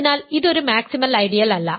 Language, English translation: Malayalam, So, it is a maximal ideal